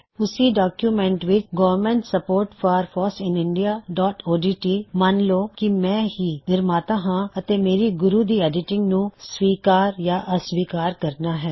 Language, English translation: Punjabi, In the same document, Government support for FOSS in India.odt, lets assume I am the author and will accept or reject the edits made by Guru